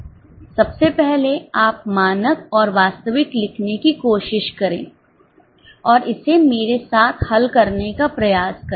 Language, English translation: Hindi, Firstly you try to write down the standard and actual and try to solve it along with me